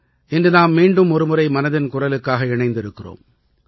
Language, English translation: Tamil, We are connecting once again today for Mann Ki Baat